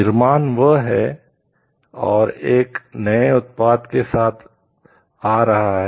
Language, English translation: Hindi, Creation is that and coming up of a new product